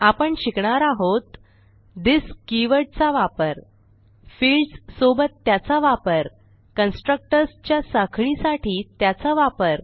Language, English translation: Marathi, In this tutorial we will learn About use of this keyword To use this keyword with fields To use this keyword for chaining of constructors